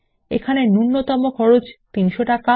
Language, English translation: Bengali, The minimum cost is rupees 300